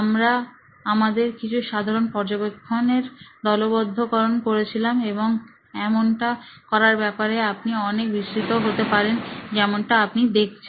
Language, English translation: Bengali, We were sort of grouping some of the common observations and you can be very detailed with this as you can see here